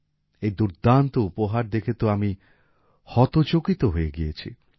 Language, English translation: Bengali, I was surprised to see this wonderful gift